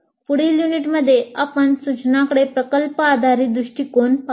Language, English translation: Marathi, So in the next unit we look at project based approach to instruction